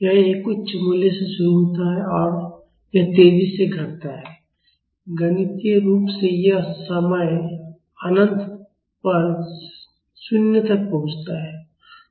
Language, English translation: Hindi, It starts with a high value and it decays faster, mathematically this reaches 0 at time is equal to infinity